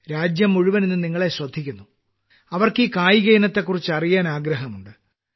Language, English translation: Malayalam, The whole country is listening to you today, and they want to know about this sport